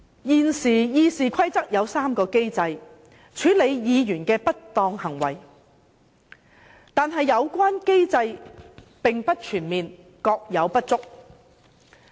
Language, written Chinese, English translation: Cantonese, 根據《議事規則》，現時有3個機制處理議員的不當行為，但有關機制並不全面，各有不足。, According to RoP there are currently three mechanisms for handling misconduct of Members but all three have their respective shortcomings